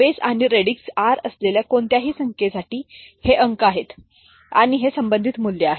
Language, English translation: Marathi, So, for any number with base or radix r so this is the digits and this is the corresponding value